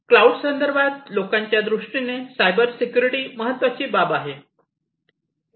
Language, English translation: Marathi, And particularly in the context of cloud, people have lot of considerations about cyber security